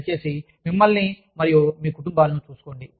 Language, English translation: Telugu, Please, look after yourselves and your families